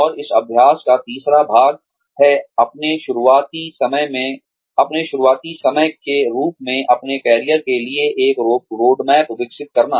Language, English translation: Hindi, And, the third part of this exercise is, develop a roadmap for your career, taking this time, as your starting point